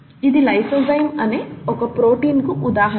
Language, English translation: Telugu, This is an example of a protein called lysozyme which is an important protein in the human body